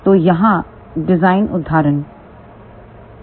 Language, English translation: Hindi, So, here is a design example 1